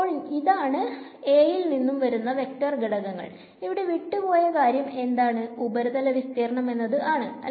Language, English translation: Malayalam, So, this is the vector component coming from A and I need the only thing missing is now what the surface area